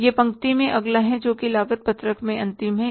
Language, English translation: Hindi, That is the next in the row, the last one in the cost sheet